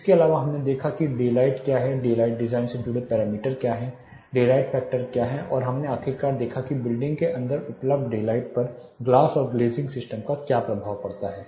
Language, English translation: Hindi, Apart from that we looked at what is daylight what are the parameters associated with daylight thing design what is daylight factor and we finally, looked at what is impact of glass and glazing system on the available daylight inside a building